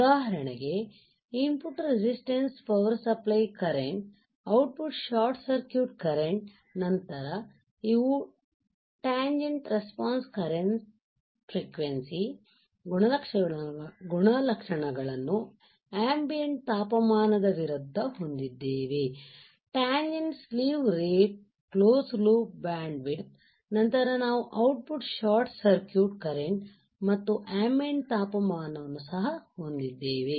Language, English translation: Kannada, For example, input resistance power supply current, output short circuit current, then we have tangent response current frequency characteristics versus ambient temperature, tangent slew rate close loop bandwidth, then we will also have output short circuit current versus ambient temperature